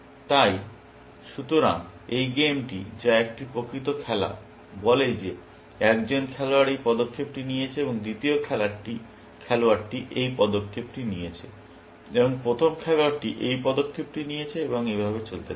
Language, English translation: Bengali, So, this is the game, which is a, it is the actual game played, says that one player made this move, and second player made this move, and the first player made this move, and so on